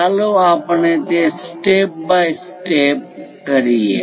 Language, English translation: Gujarati, Let us do that step by step